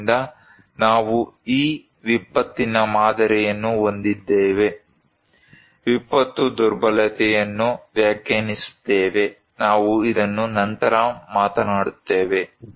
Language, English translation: Kannada, So, we have this model of disaster, defining disaster vulnerability, we will talk this one later on